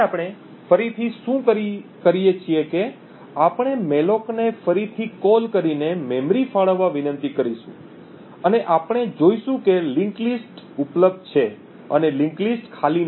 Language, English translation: Gujarati, for memory to be allocated again with this call to malloc and what we would see is that since the linked list is available and the link list is not empty